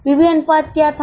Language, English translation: Hindi, What was the PV ratio